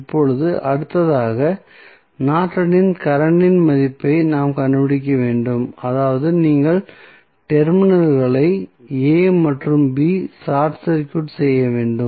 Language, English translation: Tamil, Now, next is we need to find out the value of Norton's current that means you have to short circuit the terminals A and B